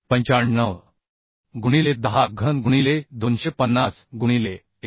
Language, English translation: Marathi, 95 into 10 cube into 250 by 1